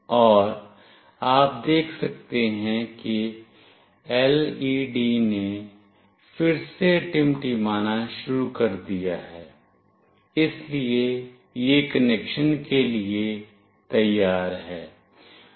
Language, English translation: Hindi, And you can see that the LED has started to blink again, so it is ready for connection